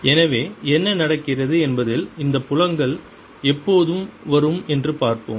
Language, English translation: Tamil, so let us see when these fields come in, what happens